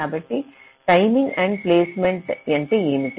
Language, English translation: Telugu, so what is the timing endpoints